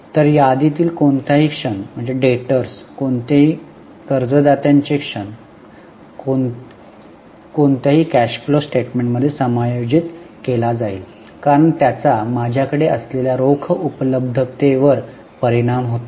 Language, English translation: Marathi, So, any moment in inventory, any moment in debtors, any moment in creditors will be adjusted in cash flow statement because it affects the availability of cash to me